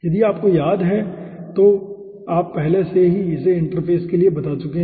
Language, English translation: Hindi, if you remember this, you have already explained aah across the interface earlier